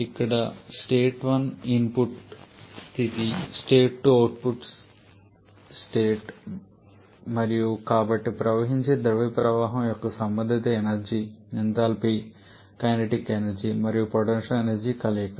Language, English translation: Telugu, Here and the state 1 is the input state 2 is the output state and so the corresponding energy of the flowing fluid stream is a combination of enthalpy kinetic energy and potential energy